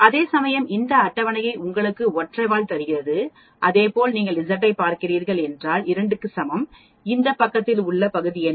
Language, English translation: Tamil, Whereas this table gives you the single tail here and similarly if you are looking at for Z is equal to 2 what is the area on this side